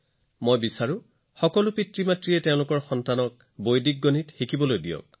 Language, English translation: Assamese, I would like all parents to teach Vedic maths to their children